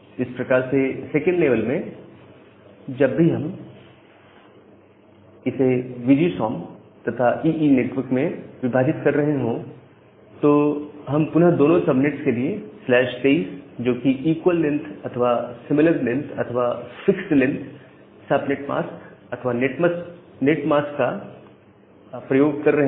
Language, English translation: Hindi, Similarly, whenever in the second level, we are dividing it into VGSOM and EE, we are again using for both the cases slash 23 the equal length or the similar length or the fixed length subnet subnet mask or netmask